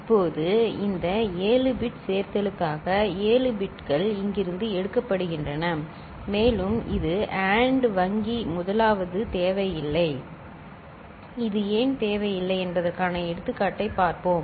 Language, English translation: Tamil, Now, this 7 bit addition for which 7 bits are taken from here and this AND bank the first is not required we shall see an example why it is not required